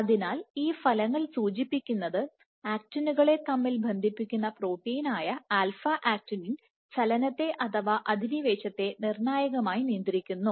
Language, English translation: Malayalam, So, these results suggest that alpha actinin which is an actin proxillin protein is a critical regulator of motility or invasion